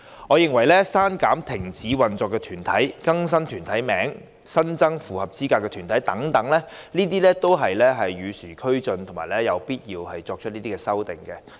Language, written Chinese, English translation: Cantonese, 我認為刪除停止運作團體、更新團體名稱、新增符合資格的團體等，都是與時俱進及有必要的修訂。, The removal of corporates having ceased operation the update on corporate names and the addition of eligible corporates are in my view necessary for the relevant legislation to keep abreast with the times